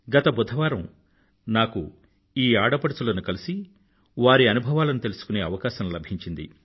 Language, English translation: Telugu, Last Wednesday, I got an opportunity to meet these daughters and listen to their experiences